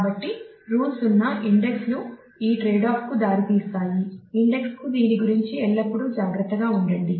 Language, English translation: Telugu, So, rule 0 indexes lead to this trade off always be watchful about that use judgment to index